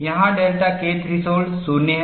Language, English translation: Hindi, Here, the delta K threshold is 0